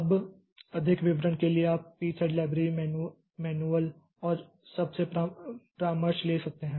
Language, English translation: Hindi, Now, for more detail so you can consult this p thread library, the manuals and all